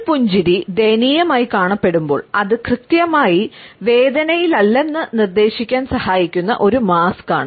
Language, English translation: Malayalam, The miserable a smile is a mask which helps us to suggest that we are not exactly in pain